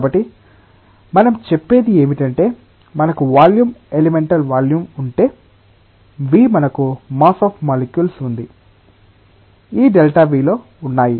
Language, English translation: Telugu, So, loosely what we say that if we have a volume elemental volume say delta v we have the mass of the molecules, which are there in this delta V